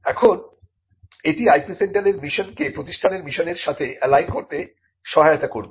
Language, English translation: Bengali, Now, this would also help to align the mission of the IP centre to the mission of the institution itself